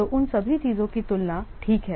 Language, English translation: Hindi, So, all those things they have to be compared